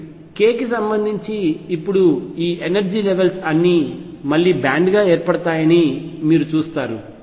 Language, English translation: Telugu, What you will see that all these energy levels now with respect to k again form a band